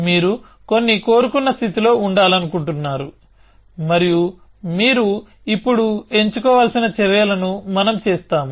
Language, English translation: Telugu, You want to be in some desired state and the actions that you have to chose only now we will